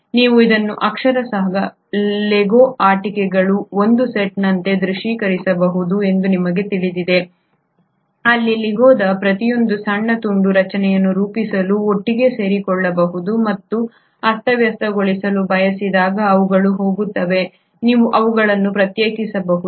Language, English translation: Kannada, You know you can literally visualize this as a set of Lego toys where each small piece of Lego can come together to form a structure and when it want to disarray they just go, you can just separate them